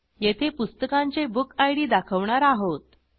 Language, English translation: Marathi, Here we display the BookId of the book